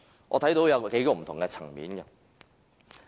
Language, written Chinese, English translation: Cantonese, 我想就幾個不同的層面分析。, Let me analyse the performance of AMO in respect of a few areas